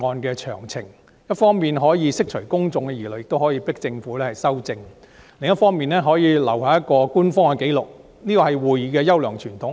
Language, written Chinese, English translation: Cantonese, 這一方面可以釋除公眾疑慮，迫使政府就修訂作出修改；另一方面留下一個官方紀錄，這是議會的優良傳統。, It on the one hand could dispel public misgivings and force the Government to make changes to the amendments and it could leave on the other an official record which is in keeping with the fine tradition of the Council